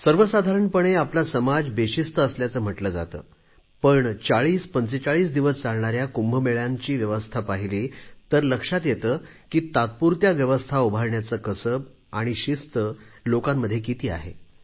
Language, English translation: Marathi, Usually, we think of ourselves as a highly undisciplined lot, but if we just look at the arrangements made during the Kumbh Melas, which are celebrated for about 4045 days, these despite being essentially makeshift arrangements, display the great discipline practised by people